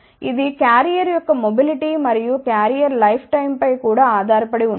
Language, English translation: Telugu, It also depends upon the mobility and lifetime of carrier